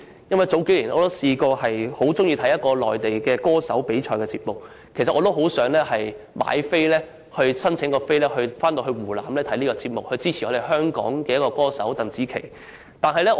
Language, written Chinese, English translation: Cantonese, 數年前，我很喜歡觀看一個內地歌手比賽節目，很想申請入場券前往湖南現場觀看，以及支持香港歌手鄧紫棋。, A few years ago I was very fond of watching a Mainland singing contest programme featuring famous singers and I very much wished to obtain admission tickets for the show which was produced in Hunan so that I could be there to support Hong Kong singer Gloria TANG aka GEM